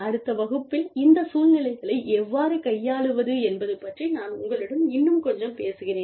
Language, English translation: Tamil, And, I will talk to you a little bit more about, how to handle these situations, in the next class